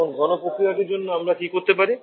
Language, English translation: Bengali, Now, what we can do for the condensation process